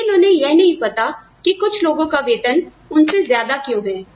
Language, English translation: Hindi, But, they do not know, why somebody salary is, higher than theirs